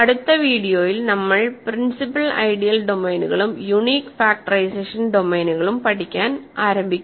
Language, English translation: Malayalam, In the next video, we will start studying principal ideal domains and unique factorization domains